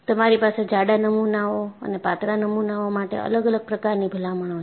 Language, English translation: Gujarati, You have different recommendations for thin and thick specimens